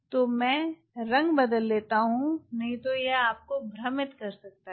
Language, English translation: Hindi, let me change the colour that now confuse you, ah